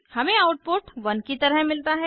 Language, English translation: Hindi, So we get the output as 32